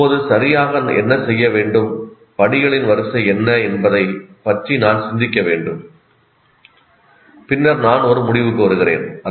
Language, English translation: Tamil, Now, I have to reflect what exactly is to be done, what are the sequence of steps, and then only come to conclusion